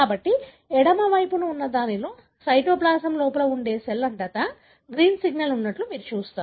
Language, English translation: Telugu, So, in this on the left side you see that there is a green signal all over the cell that is inside of cytoplasm